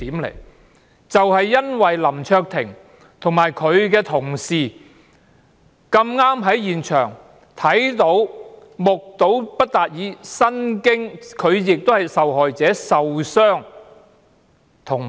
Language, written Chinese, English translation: Cantonese, 林卓廷議員和他的同事恰巧在現場目睹及親歷其境，他們亦是受害者，並受了傷。, It just so happened that Mr LAM Cheuk - ting and his colleagues were right there at the scene witnessing and experiencing the incident and they were also victims who sustained injuries